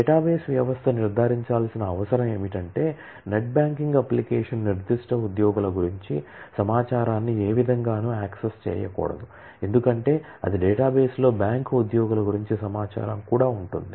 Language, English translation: Telugu, And also what the database system needs to ensure is that a net banking application should in no way be able to access the information about the specific employees, because, in the same database information about the bank employees will also be there